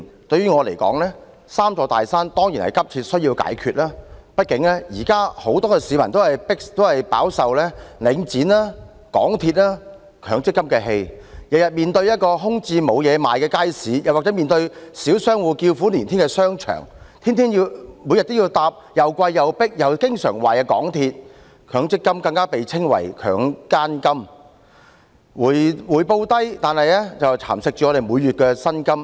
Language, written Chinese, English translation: Cantonese, 對我而言，"三座大山"當然急需解決，畢竟現時很多市民也飽受領展房地產投資信託基金、香港鐵路有限公司和強制性公積金的氣——每天面對一個空置、沒有東西可買的街市或小商戶叫苦連天的商場；每天要乘搭又貴、又迫、又經常壞的港鐵；強積金更被稱為"強姦金"，回報低但蠶食每月薪金。, In my opinion the three big mountains certainly need to be dealt with as a matter of urgency . After all many members of the public are currently outraged by the Link Real Estate Investment Trust Link REIT the MTR Corporation Limited MTRCL and the Mandatory Provident Fund MPF―every day they have to face empty markets where there is nothing to buy or shopping arcades the small commercial tenants of which are moaning in misery; every day they have to take MTR trains that charge expensive fares are crowded and break down frequently; MPF is dubbed the Mandatory Prostitution Fund as its return is low and erodes peoples monthly wages